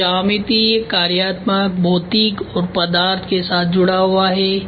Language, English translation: Hindi, This attached with geometry functional physical and material ok